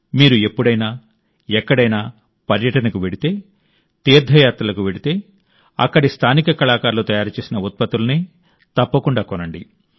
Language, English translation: Telugu, Whenever you travel for tourism; go on a pilgrimage, do buy products made by the local artisans there